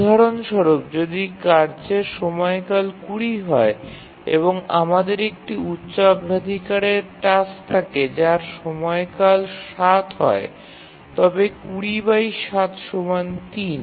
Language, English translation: Bengali, For example, if the task period is 20 and we have a higher priority task whose period is 7